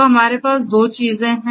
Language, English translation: Hindi, So, we have 2 things